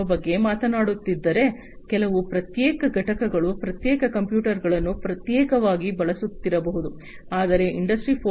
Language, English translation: Kannada, 0, some individual components might be using separate computers separately, but in the Industry 4